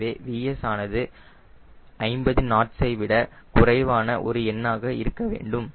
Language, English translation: Tamil, so vs should be less than fifty knots or some number